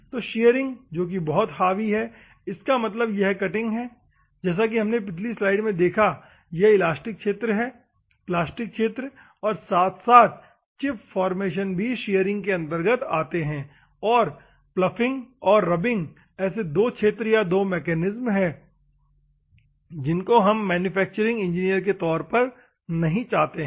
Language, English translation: Hindi, The shearing which is a dominating one; that means, that it is cutting as we have seen in the previous slide it is elastic region, plastic region as well as the chip formation region, that comes under the shearing and the ploughing and rubbing regions are two regions or the two mechanisms which normally we do not want as a manufacturing engineer